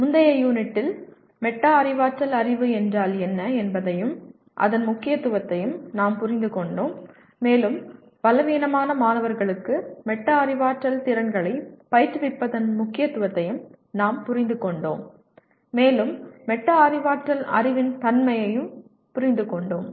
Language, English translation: Tamil, In the earlier unit we understood what metacognitive knowledge is and its importance and also we understood the importance of giving instruction in metacognitive skills to weaker students and also understood the nature of the metacognitive knowledge itself